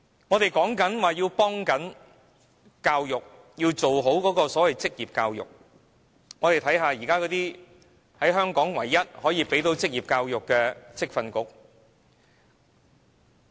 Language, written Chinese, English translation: Cantonese, 我們說要做好職業教育，看看現時香港唯一可以提供職業教育的職業訓練局。, We say that we need to properly take forward vocational education . But let us look at the Vocational Training Council the only institution offering vocational education in Hong Kong